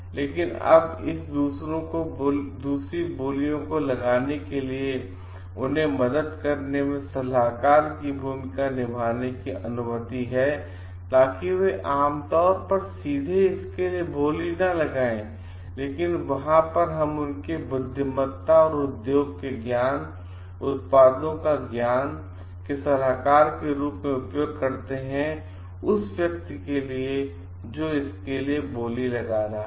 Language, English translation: Hindi, But now they are allowed to play the role of consultants in helping others to make the bids so that they are not generally directly bidding for it, but there we using their wisdom and knowledge of the industry, knowledge of the products to like act as consultants for the person who are bidding for it